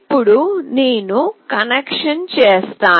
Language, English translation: Telugu, So now, I will be doing the connection